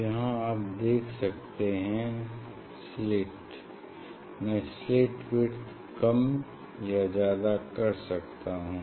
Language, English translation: Hindi, here you can see this is the slit I can increase and decrease the slit width now I am opening